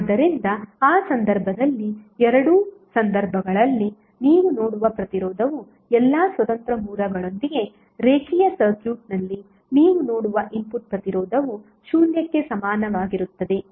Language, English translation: Kannada, So in that case whatever the resistance you will see in both of the cases the input resistance which you will see across the linear circuit with all independent sources are equal to zero would be equal to RTh